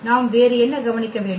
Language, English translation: Tamil, What else we have to observe